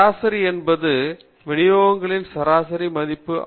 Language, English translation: Tamil, Mean is the representative of the average value of the distributions